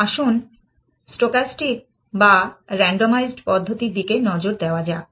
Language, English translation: Bengali, Let us look at stochastic or randomized method